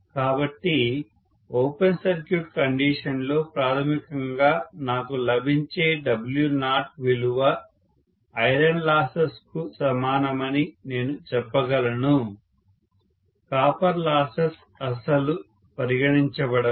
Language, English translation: Telugu, So I can say that basically the W naught value what I get during open circuit is equal to iron losses themselves, copper losses are not considered at all